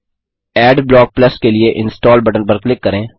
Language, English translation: Hindi, Click on the Install button for Adblock Plus